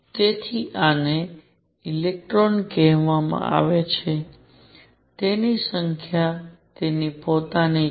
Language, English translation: Gujarati, So, this is called electron has a quantum number of it is own